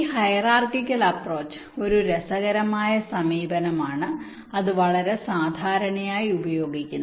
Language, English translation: Malayalam, this hierarchical approach is an interesting approach which also is quite commonly used